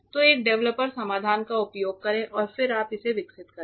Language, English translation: Hindi, So, use a developer solution and then you develop it